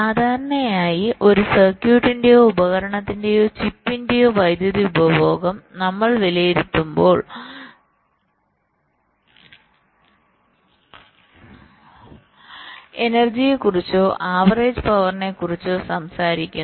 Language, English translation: Malayalam, so normally, when we evaluate the power consumption of a circuit or a device or a chip, we talk about the energy or the average power